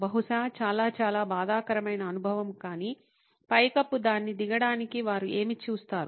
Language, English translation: Telugu, Probably a very, very traumatic experience but what do they see to get it down is the roof